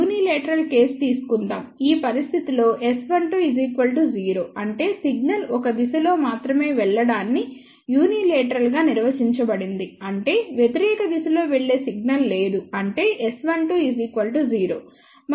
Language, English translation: Telugu, Let us take of unilateral case, my in this situation S 1 2 is equal to 0, that is how unilateral is defined that signal is only going in one direction there is a no signal going in the opposite direction that means, S 1 2 is equal to 0